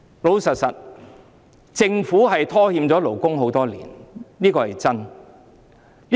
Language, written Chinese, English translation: Cantonese, 老實說，政府拖欠了勞工多年，這是事實。, Frankly speaking the Government has owed the labour on this matter for years . It is a fact